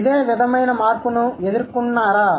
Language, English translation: Telugu, Gone through similar change